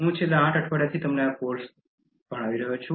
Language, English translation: Gujarati, I have been giving this course to you for the past eight weeks